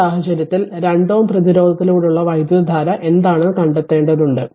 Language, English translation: Malayalam, So, in this case you have to find out what is that current through 2 ohm resistance